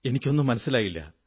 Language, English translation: Malayalam, I don't get it